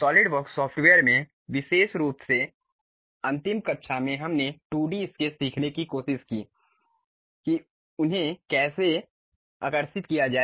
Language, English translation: Hindi, In the Solidworks software, in the last class especially we tried to learn 2D sketches, how to draw them